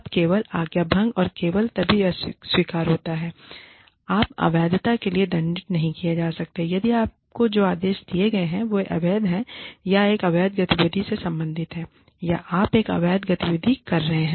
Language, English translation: Hindi, Now, insubordination is acceptable, only and only if the, or you may not be penalized for insubordination, if the orders that are given to you, are illegal, or relate to an illegal activity, or result in, you having to perform, an illegal activity